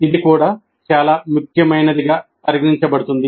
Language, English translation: Telugu, This also considered as very important